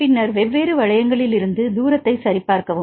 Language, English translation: Tamil, Then check the distance from different rings and if the distance is 4